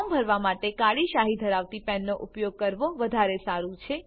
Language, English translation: Gujarati, It is preferable to use a pen with black ink to fill the form